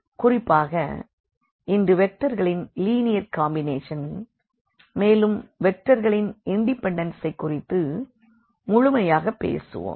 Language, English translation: Tamil, In particular, we will cover today the linear combinations of the vectors and also this linear independence of vectors